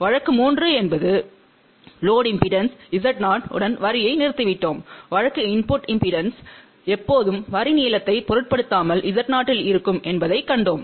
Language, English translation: Tamil, Case 3 was where we had terminated the line with load impedance Z 0 and in that case, we saw that the input impedance always remains at 0 irrespective of the length of the line